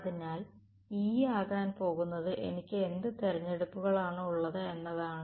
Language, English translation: Malayalam, So, E is going to be what choices do I have